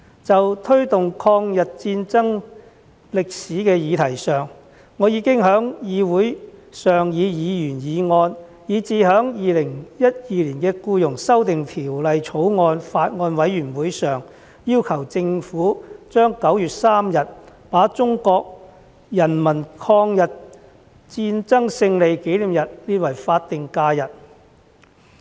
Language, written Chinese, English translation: Cantonese, 就推動抗日戰爭歷史的議題上，我已經在議會上以議員議案，以至在《2021年僱傭條例草案》委員會上，要求政府把9月3日中國人民抗日戰爭勝利紀念日列為法定假日。, On the subject of promoting the history of the War of Resistance I have already proposed a Members motion in this Council and at the meetings of the Bills Committee on Employment Amendment Bill 2021 requesting the Government to designate 3 September the Victory Day of the War of Resistance as a statutory holiday